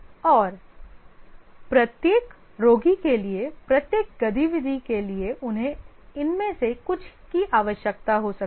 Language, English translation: Hindi, And for each activity, for each patient they might need some of these